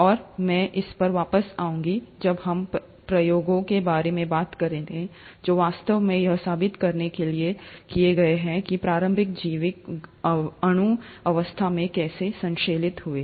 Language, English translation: Hindi, And I’ll come back to this when we talk about experiments which actually go on to prove how the initial biological molecules actually got synthesized